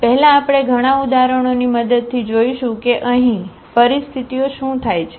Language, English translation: Gujarati, So, first we will see with the help of many examples that what are the situations arises here